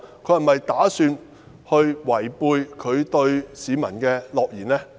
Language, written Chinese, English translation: Cantonese, 她是否打算違背她對市民的諾言呢？, Does she intend to renege on the pledge she made to the public?